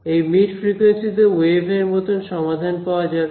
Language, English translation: Bengali, So, the mid frequency range has wave like solutions ok